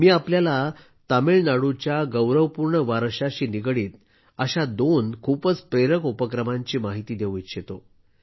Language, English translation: Marathi, I would like to share with you two very inspiring endeavours related to the glorious heritage of Tamil Nadu